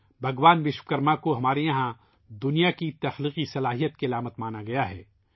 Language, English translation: Urdu, Here, Bhagwan Vishwakarma is considered as a symbol of the creative power behind the genesis of the world